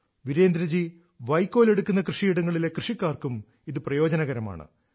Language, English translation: Malayalam, The benefit of thisalso accrues to the farmers of those fields from where Virendra ji sources his stubble